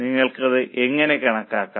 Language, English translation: Malayalam, How are you able to calculate it